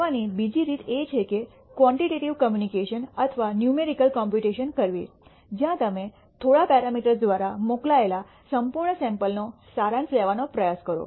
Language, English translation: Gujarati, The other way of doing is to actually do quantitative computations or numerical computations, where you try to summarize the entire sample sent by a few parameters